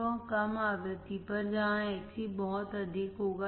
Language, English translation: Hindi, So, at low frequency is where Xc would be high